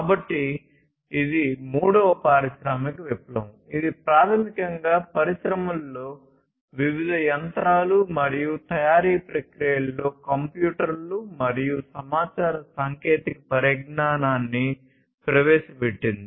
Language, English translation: Telugu, So, that was the third industrial revolution, which was basically the introduction of computers and infra information technology in the different machinery and manufacturing processes in the industry